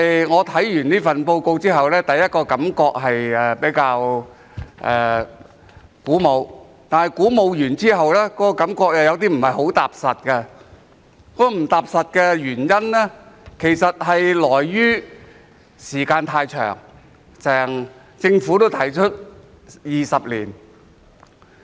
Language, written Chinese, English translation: Cantonese, 我看完這份施政報告後的第一個感覺是比較鼓舞，但過後又感覺有些不太踏實，原因是時間太長，政府也提出需時20年。, My first impression after reading this Policy Address was that it was quite encouraging but then I could not feel at ease because the time frame which would take 20 years as proposed by the Government was too long